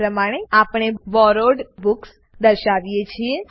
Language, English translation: Gujarati, This is how we display Borrowed Books